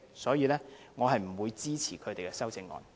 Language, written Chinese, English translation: Cantonese, 所以，我不會支持他們的修正案。, For this reason I will not support their amendments